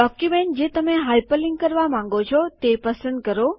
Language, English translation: Gujarati, Select the document which you want to hyper link